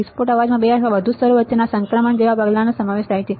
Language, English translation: Gujarati, Burst noise consists of sudden step like transitions between two or more levels